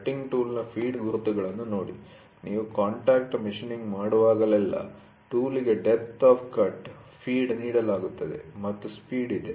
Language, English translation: Kannada, See the feed marks of the cutting tool, whenever you do a contact machining, the tool is given depth of cut, depth of cut, feed and there is a speed